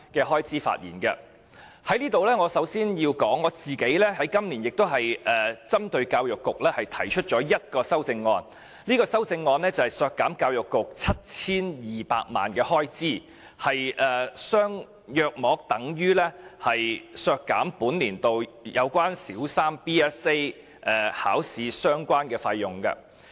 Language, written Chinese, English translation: Cantonese, 我在此首先要指出，我今年針對教育局亦提出了1項修正案，削減教育局 7,200 萬元開支，大約等於本年度有關小三 BCA 的相關費用。, First I need to point out that I have also proposed an amendment to deduct the estimated expenditure of the Education Bureau by 72 million which is roughly equivalent to the related expenditures of the Basic Competency Assessments BCA this year